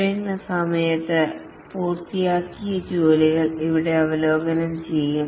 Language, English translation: Malayalam, Here, the work that has been completed during the sprint are reviewed